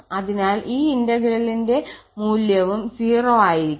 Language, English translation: Malayalam, So, the value of this integral is also 0